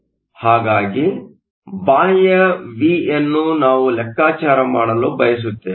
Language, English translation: Kannada, So, V external is want we want to calculate